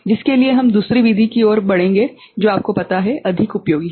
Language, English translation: Hindi, For which we shall move to another method which is you know, found more useful